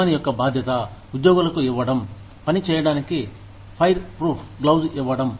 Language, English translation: Telugu, It is the responsibility of the employer, to give the employees, fireproof gloves to work with